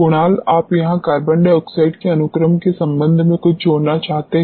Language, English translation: Hindi, Kunal you want to add something here with respect to carbon dioxide sequestration